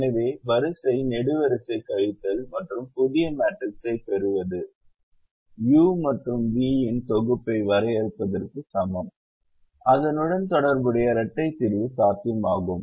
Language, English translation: Tamil, so doing the row column subtraction and getting a new matrix is equivalent of defining a set of u and v such that the corresponding dual solution is feasible